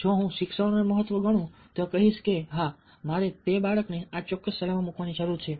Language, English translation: Gujarati, if i consider education as significant, i will say that, yes, i need to put that child in this specific school